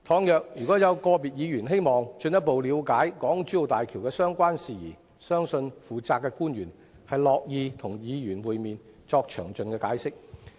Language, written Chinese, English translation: Cantonese, 如有個別議員希望進一步了解港珠澳大橋的相關事宜，相信負責的官員樂意與議員會面，作詳盡的解釋。, If individual Members wish to know more about the issues relating to HZMB I believe the officials in charge are happy to meet with them and give them explanations in detail